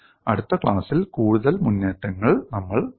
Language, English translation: Malayalam, We will see further advancements in next class